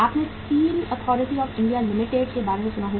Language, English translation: Hindi, You have heard about the Steel Authority of India Limited